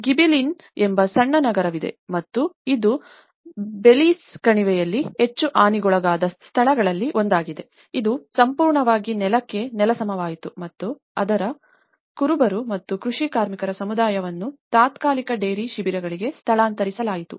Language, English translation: Kannada, There is a small city called Gibellina and this is one of the most affected places in the Belice Valley, which was completely razed to the ground and its community of shepherds and farm labourers relocated to the temporary tent camps